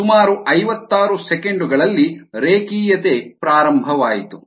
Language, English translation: Kannada, fifty six seconds is the point at which the linearity began